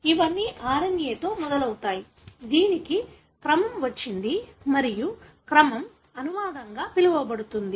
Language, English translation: Telugu, It all begins with the RNA, which has got the sequence and the sequence is what is called as translated